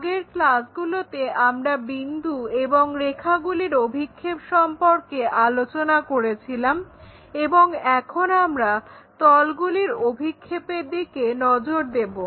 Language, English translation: Bengali, Earlier classes we try to look at projection of points, prediction of lines and now we are going to look at projection of planes